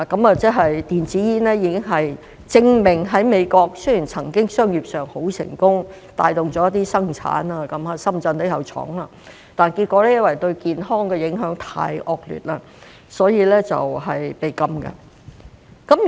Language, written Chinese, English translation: Cantonese, 這證明了電子煙雖然曾經在美國商業上很成功，帶動了一些生產，在深圳也有設廠，但結果因為對健康的影響太惡劣，所以被禁。, This proves that although e - cigarettes were once commercially successful in the United States and brought about some production activities with factories established in Shenzhen they were eventually banned because of the adverse health effects . The same happens with HTPs